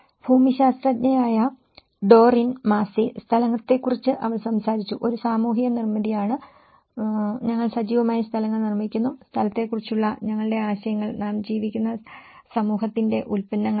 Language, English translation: Malayalam, Doreen Massey, a geographer she talked about place is a social construct and we actively make places and our ideas of place are the products of the society in which we live